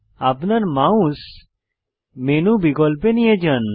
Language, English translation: Bengali, Move your mouse on the menu options